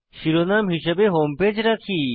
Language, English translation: Bengali, We keep the title as Home Page